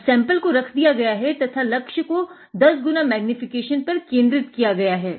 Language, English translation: Hindi, Now, the sample is kept, and objective is focused at 10 x magnification